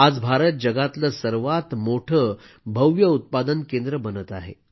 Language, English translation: Marathi, Today India is becoming the world's biggest manufacturing hub